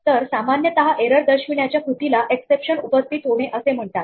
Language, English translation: Marathi, So, usually the act of signalling an error is called raising an exception